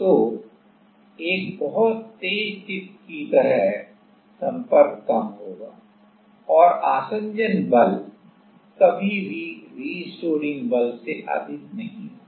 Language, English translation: Hindi, So, like a very sharp tip so, the contact will be lesser and the adhesion force will be never higher than the restoring force